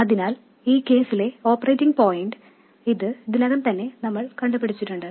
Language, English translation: Malayalam, So we know that the operating point in this case this has already been worked out earlier